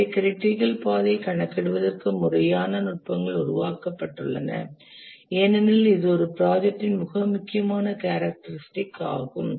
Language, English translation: Tamil, And therefore, systematic techniques have been developed to compute the critical path because that's a very important characteristic of a project